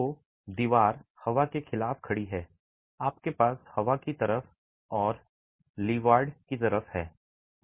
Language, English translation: Hindi, So, the wall is standing against wind, you have the windward side and the leeward side